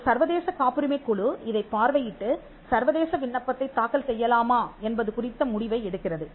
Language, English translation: Tamil, An international patent committee looks into this and takes the decision on whether to file an international application simply because of the cost involved